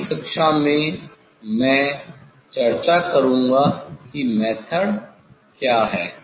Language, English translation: Hindi, in next class I will discuss that is method